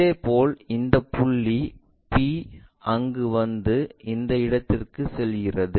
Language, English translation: Tamil, Similarly, this point p comes there all the way goes to that point